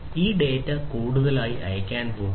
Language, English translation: Malayalam, These data are going to be sent further, right